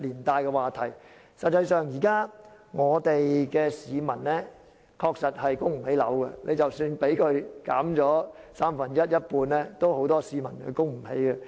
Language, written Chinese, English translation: Cantonese, 事實上，現在香港市民確實供不起樓，即使樓價下跌三分之一或一半，仍有很多市民供不起樓。, As a matter of fact many Hong Kong people are unable to afford their own homes . Even if property prices drop by one third or a half many people will still be unable to afford mortgage of their own homes